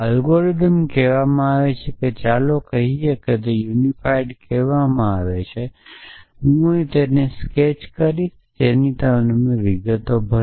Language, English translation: Gujarati, So, the algorithm is called let us say it is called unify I will just sketch it here and you get fill in the details